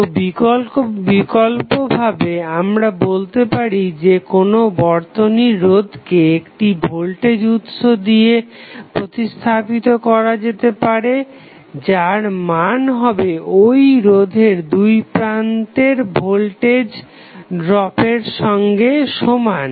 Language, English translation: Bengali, So, alternatively we can also say that the resistance of any network can be replaced by a voltage source having the same voltage as the voltage drop across the resistance which is replaced